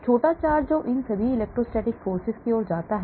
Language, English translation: Hindi, So small charge which leads to all these electrostatic forces